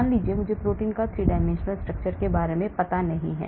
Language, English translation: Hindi, Suppose I do not have idea about 3 dimensional structure of the protein